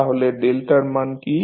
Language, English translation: Bengali, So, what is the value of delta